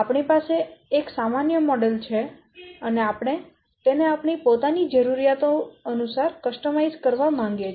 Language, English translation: Gujarati, We have to a generic model is there and why we want to customize it according to our own needs